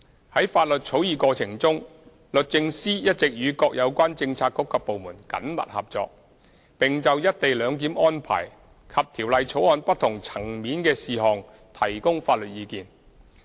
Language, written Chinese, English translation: Cantonese, 在法律草擬過程中，律政司一直與各有關政策局及部門緊密工作，並就"一地兩檢"安排及條例草案不同層面的事項提供法律意見。, The Department of Justice has been working closely with the relevant bureaux and departments in the course of the legislative drafting process in providing legal advice on the co - location arrangement and different aspects concerning the bill